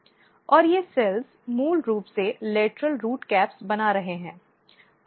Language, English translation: Hindi, And these cells are basically making lateral root caps